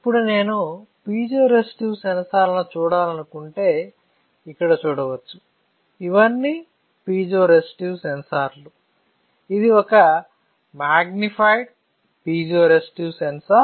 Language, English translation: Telugu, Now if I want to see the piezoresistive sensors right, you can see here, these are all piezoresistive sensors all right; this is one magnified piezoresistive sensor